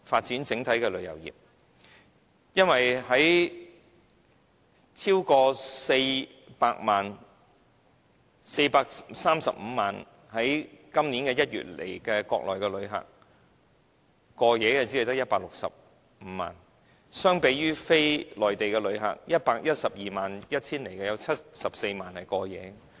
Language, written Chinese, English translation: Cantonese, 因為今年1月來港的435萬名國內旅客之中，過夜的只有165萬人，相比非內地旅客在 1,121 000人之中，有74萬人在此過夜。, In January this year of the 4 350 000 inbound Mainland visitors only 1 650 000 stayed overnight but among the 1 121 000 non - Mainland visitors 740 000 stayed overnight